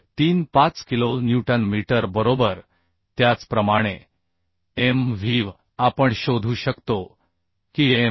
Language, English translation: Marathi, 35 kilonewton meter similarly Mvv will become 0